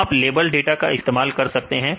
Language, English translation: Hindi, So, you can use the label data